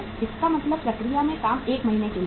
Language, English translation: Hindi, It means work in process is for 1 month